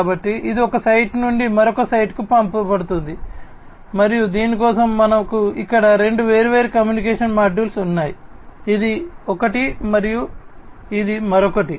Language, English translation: Telugu, So, this is sent from one site to another site and for this we have two different communication modules over here this is one and this is another